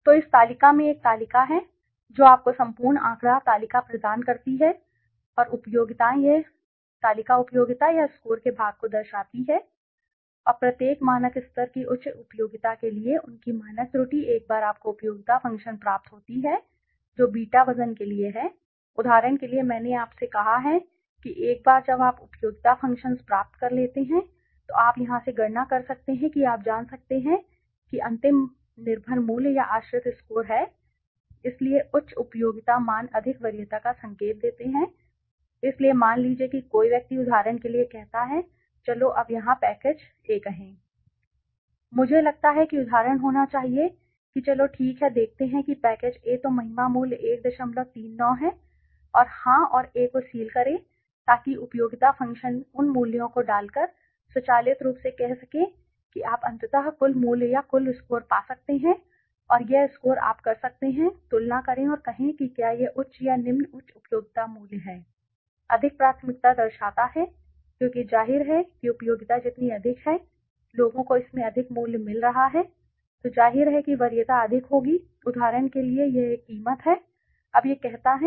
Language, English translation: Hindi, So, this table there is a table which gives you the whole statistic table and utilities this table shows the utility or the part worth scores and their standard error for each factor level higher utility once you get the utility function which are the beta weight, for example I have said to you once you get the utility functions then you can from here you can calculate you know that the final the dependant value or the dependant score right so high utility values indicate greater preference so suppose for somebody says now for example here let s say package A